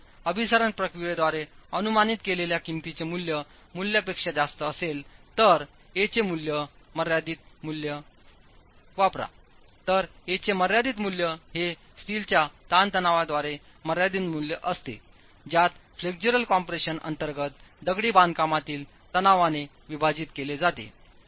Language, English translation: Marathi, In case the value of A that you have estimated by the procedure of convergence is greater than the value, the limiting value of A, then limiting value of A is the value limited by the stress in steel divided by the stress in the masonry under flexual compression